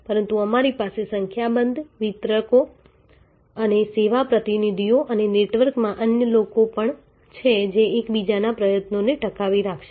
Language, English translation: Gujarati, But, you also have number of distributors and service representatives and other people in the network who will sustain each other's effort